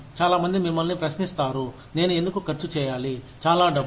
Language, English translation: Telugu, A lot of people will question you, why should I spend, so much money